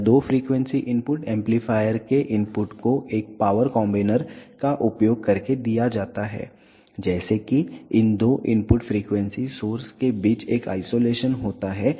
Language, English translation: Hindi, This two frequency input is given to the input of the amplifier using a power combiner such that the there is a isolation between these two input frequency sources